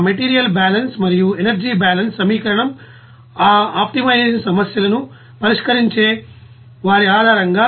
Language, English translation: Telugu, Based on that you know material balance and also energy balance equation and for those you know solving of that optimization problems